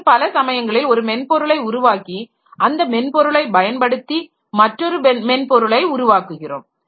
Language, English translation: Tamil, And many a time, many a day so we develop one piece of software and using that software we develop another software